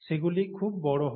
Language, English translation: Bengali, They are very large too